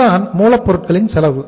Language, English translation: Tamil, So this is the raw material cost